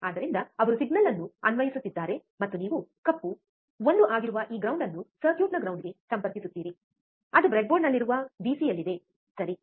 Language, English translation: Kannada, So, he is applying signal, and you will connect this ground which is black 1 to the ground of the circuit, that is on the pc on the breadboard, alright